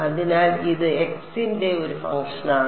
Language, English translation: Malayalam, So, this is a function of x